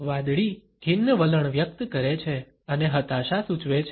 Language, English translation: Gujarati, The blue expresses a melancholy attitude and suggest depression